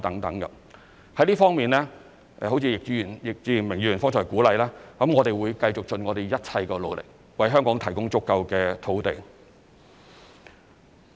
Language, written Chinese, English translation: Cantonese, 在這方面，就如易志明議員剛才鼓勵，我們會繼續盡一切努力，為香港提供足夠土地。, In this connection we will as encouraged by Mr Frankie YICK just now continue to spare no effort in providing sufficient land for Hong Kong